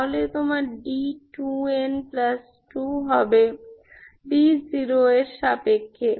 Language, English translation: Bengali, What you get is d 2 n minus 2 equal to zero